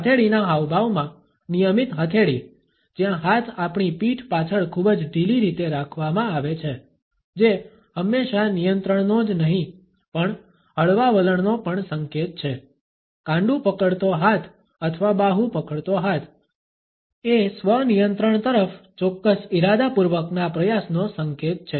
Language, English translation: Gujarati, A routine palm in palm gesture where hands are very loosely held behind our back, which is always an indication of not only control, but also of a relaxed attitude, the hand gripping wrist or the hand gripping arm is an indication of certain deliberate attempt at self control